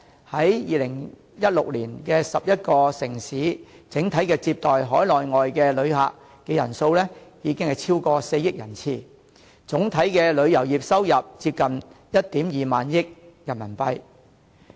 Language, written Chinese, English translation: Cantonese, 在2016年 ，11 個城市整體接待海內外旅客人數已經超過4億人次，總體旅遊業收入接近1萬 2,000 億元人民幣。, In 2016 the 11 cities received over 400 million tourist arrivals from inside and outside the country and brought in a total tourism revenue of almost RMB1,200 billion